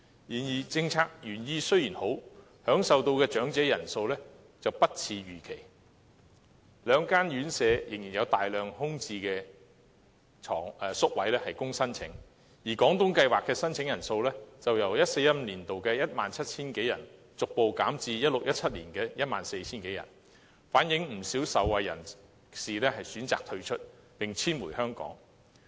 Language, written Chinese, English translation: Cantonese, 然而，政策原意雖好，享受到的長者人數卻不似預期，兩間院舍仍然有大量空置宿位供申請；而"廣東計劃"的申請人數，則由 2014-2015 年度的 17,000 多人，逐步減至 2016-2017 年度的 14,000 人，反映不少受惠人士選擇退出，並遷回香港。, Despite the good intention the number of elderly benefiting from the policy is smaller than expected and the number of places open for application in these two residential care homes is substantial . Applicants for the Guangdong Scheme in fact has dropped gradually from 17 000 in 2014 - 2015 to 14 000 in 2016 - 2017 as many beneficiaries have chosen to quit and return to Hong Kong instead